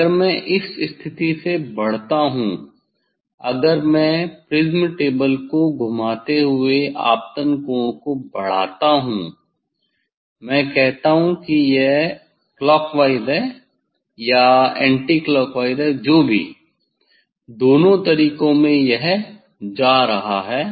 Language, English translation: Hindi, this is the minimum deviation position if I increase from this position if I increase the incident angle rotating the prism table say, if it is a clockwise or anticlockwise whatever in both ways it is going; it is going back from this position